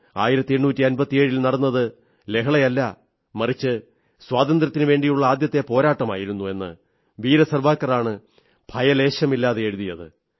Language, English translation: Malayalam, It was Veer Savarkar who boldly expostulated by writing that whatever happened in 1857 was not a revolt but was indeed the First War of Independence